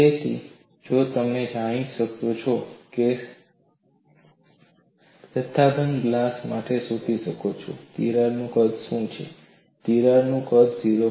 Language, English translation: Gujarati, So, you can go and find out for a bulk glass what would be the size of the crack; the size of the crack is of the order of 0